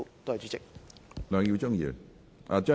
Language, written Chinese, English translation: Cantonese, 梁耀忠議員，請發言。, Mr LEUNG Yiu - ching please speak